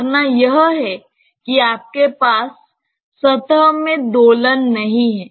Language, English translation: Hindi, The assumption is that you donot have an oscillation in the surface